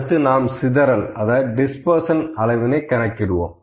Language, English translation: Tamil, Next also we can calculate the measure of dispersion here, ok